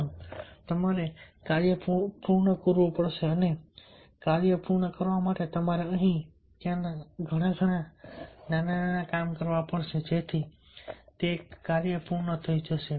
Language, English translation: Gujarati, you have to complete the task and in order to complete the task, you have to do lot of small jobs here and there so that job will be completed